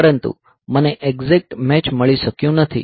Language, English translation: Gujarati, But I could not find an exact match